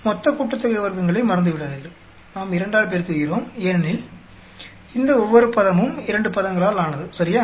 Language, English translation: Tamil, Do not forget for the total sum of squares, we are multiplying by 2 because each one of these term is made up of 2 terms right